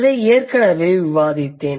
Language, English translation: Tamil, So, this is I have already discussed